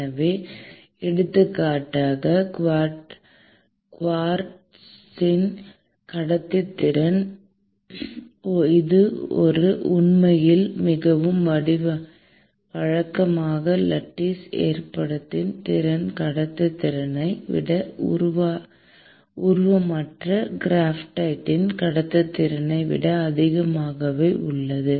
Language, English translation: Tamil, So, for example, the conductivity of quartz, which actually is a more regular lattice arrangement is actually much higher than the conductivity of let us say, amorphous graphite